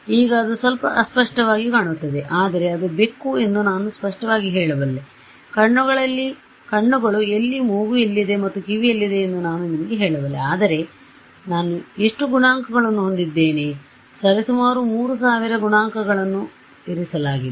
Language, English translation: Kannada, Now, I can see that it is a little furzy, but I can clearly make out it is a cat, I can tell you where the eyes are where the nose is where the ears are and so on, but how many coefficients that I have kept right, roughly 3000 coefficients